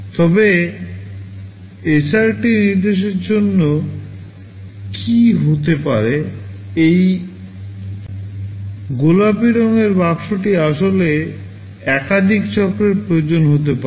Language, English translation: Bengali, But for STR instruction what might happen that this pink colored box can actually require multiple cycles